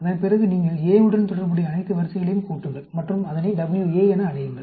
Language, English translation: Tamil, And then, you sum all the ranks related to A, and call it WA; sum all the ranks related to B, call it WB